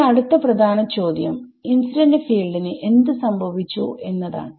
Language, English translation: Malayalam, So, the main question now, that has that has come about is what happened to the incident field